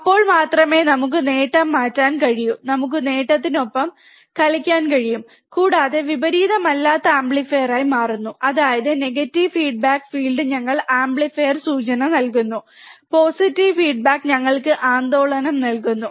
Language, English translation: Malayalam, Then only we can change the gain we can we can adjust the gain we can play with the gain, and becomes a non inverting amplifier; means that, negative feedback field give us amplifier implication, positive feedback give us oscillation right